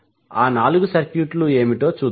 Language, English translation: Telugu, Let us see what are those four circuits